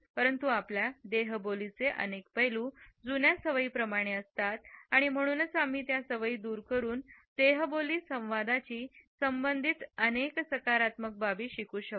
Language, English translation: Marathi, But, several aspects of our body language are like old habits and therefore, we can unlearn these habits and learn more positive aspects associated with the kinesics communication